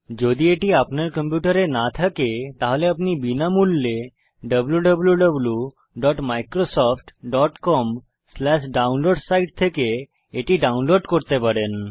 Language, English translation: Bengali, If you do not have it on your computer, you can download it free of cost from the site www.microsoft.com/downloads